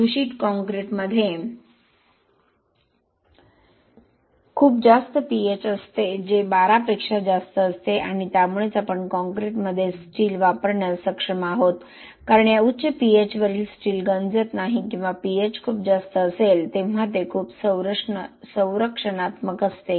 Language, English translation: Marathi, An uncontaminated concrete will have very high pH which is about 12 more than 12 and that is the reason why we are actually able to use steel in concrete because at this high pH steel does not corrode or it is very protective when the pH is very very high like this